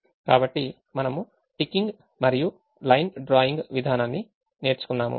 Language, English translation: Telugu, so we do the ticking and line drawing procedure